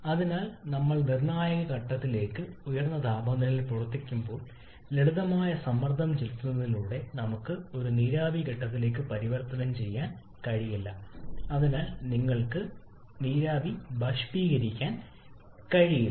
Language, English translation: Malayalam, Therefore when we are operating at a temperature higher than the critical temperature then just by simple pressurizing we cannot convert a vapour to the liquid phase or you cannot force a vapour to condense